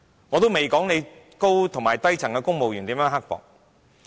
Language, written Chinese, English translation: Cantonese, 我仍未說對低層公務員是如何的刻薄。, I have yet given an account of how mean the junior civil servants have been treated